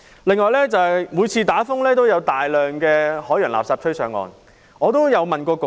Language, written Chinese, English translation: Cantonese, 此外，每次出現颱風也會有大量海洋垃圾被吹到岸上。, In addition whenever a typhoon strikes a large amount of marine litter will be blown ashore